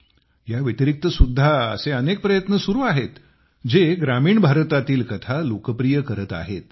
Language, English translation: Marathi, There are many endeavours that are popularising stories from rural India